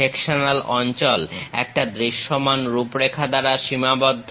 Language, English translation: Bengali, Sectional area is bounded by a visible outline